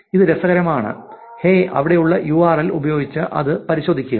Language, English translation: Malayalam, This is cool, hey check this out with the URL there, right